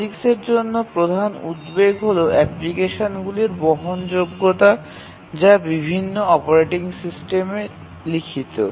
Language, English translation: Bengali, The major concern for POGICs is portability of applications written in different operating systems